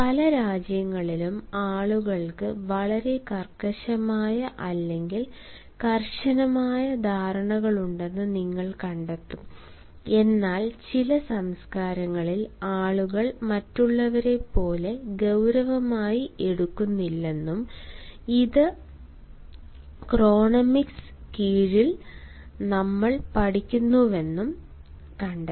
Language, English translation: Malayalam, you will find that while in several countries people have very rigid or strict notions of time, but then in certain cultures it has also been found that people take time not as seriously as others, and this we study under chronemics